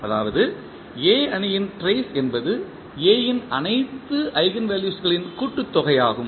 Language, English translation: Tamil, That means the trace of A matrix is the sum of all the eigenvalues of A